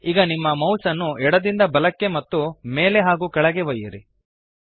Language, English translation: Kannada, Now move your mouse left to right and up and down